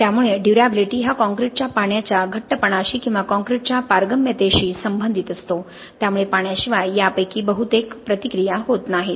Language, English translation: Marathi, So durability is intrinsically related to the water tightness of the concrete or the permeability of the concrete, so without water most of these reactions do not occur